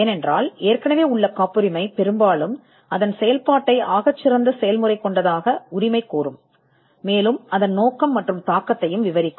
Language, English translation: Tamil, Because most likely existing patent would claim the best method of it is working would describe it is object and the impact too